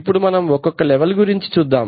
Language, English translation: Telugu, Now let us see each of these levels